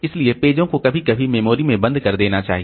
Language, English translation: Hindi, So, pages must sometimes be locked into memory